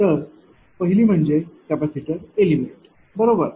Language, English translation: Marathi, So, first thing is the capacitor element right